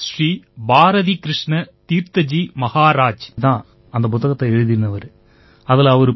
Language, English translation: Tamil, Swami Shri Bharatikrishna Tirtha Ji Maharaj had written that book